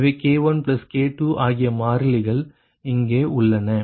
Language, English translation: Tamil, so k one, k two constants are here right now